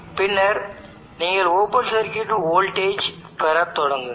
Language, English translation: Tamil, And then you start to obtain the open circuit voltage